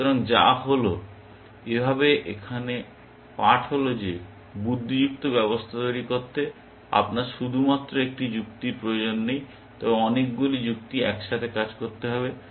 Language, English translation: Bengali, So, which is the, thus the lesson here is that to build intelligence systems, you need not just one form of reasoning, but many forms of reasoning working together